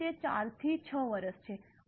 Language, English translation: Gujarati, So, it is 4 to 60 years